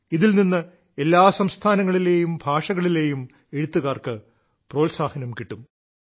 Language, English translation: Malayalam, This will encourage young writers of all states and of all languages